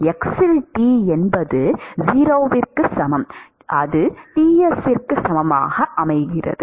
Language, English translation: Tamil, T at x is equal to 0, equal to Ts